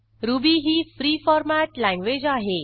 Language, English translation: Marathi, Ruby is free format language